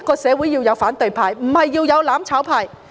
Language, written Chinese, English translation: Cantonese, 社會需要反對派，而非"攬炒派"。, What society needs is an opposition camp rather than a mutual destruction camp